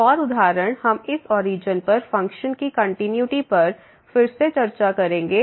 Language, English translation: Hindi, Another example we will discuss the continuity of this function again at origin